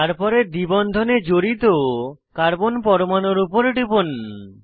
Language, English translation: Bengali, Then click on the carbon atoms involved in the double bond